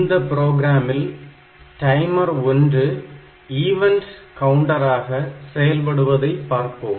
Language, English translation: Tamil, So, the program that we have seen here the timer 1 is acting as an event counter